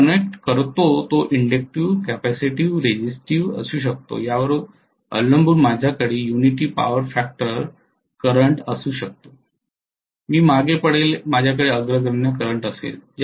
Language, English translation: Marathi, The load what I connect can be inductive, capacitive, resistive depending upon I may have a unity power factor current, I may have lagging, I may have leading current